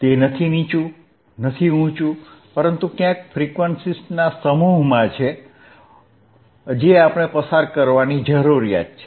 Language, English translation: Gujarati, Not a low, not high, but within somewhere within a set of frequencies that only we need to pass